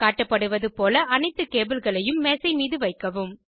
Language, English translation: Tamil, Place all the cables on the table, as shown